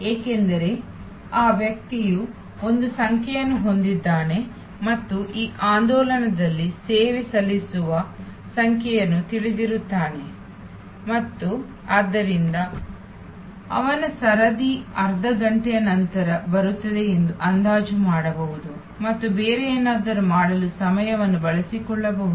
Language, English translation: Kannada, Because, that person has a number and knows the number being served at this movement and therefore, can estimate that his turn will come half an hour later and can utilizes the time to do something else